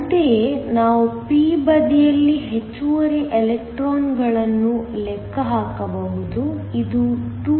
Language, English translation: Kannada, Similarly, we can calculate the excess electrons on the p side, this is equal to 2